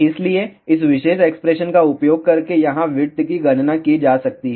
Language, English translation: Hindi, So, width can be calculated using this particular expression over here